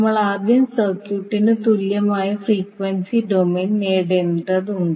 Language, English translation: Malayalam, We need to first obtain the frequency domain equivalent of the circuit